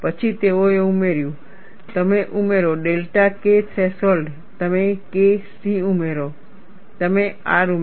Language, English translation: Gujarati, Then they have added, you add delta K threshold, you add K c you add R